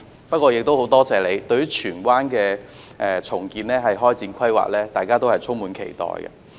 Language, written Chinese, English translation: Cantonese, 不過，我亦很多謝特首對荃灣的重建展開規劃，大家都充滿期待。, That being said I am grateful to the Chief Executive for kickstarting the long - awaited redevelopment plan of Tsuen Wan